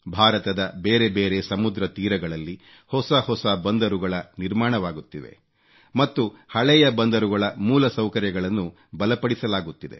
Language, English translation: Kannada, New seaports are being constructed on a number of seaways of India and infrastructure is being strengthened at old ports